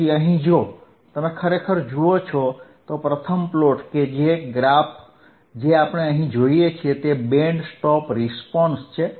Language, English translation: Gujarati, So, here if you really see, the first one that is this particular plot wthat we see is here is the band stop response